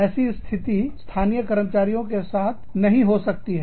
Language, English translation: Hindi, Which will not be the case, with local employees